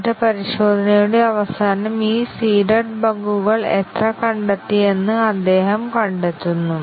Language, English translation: Malayalam, And then, at the end of the testing he finds out how many of these seeded bugs have been discovered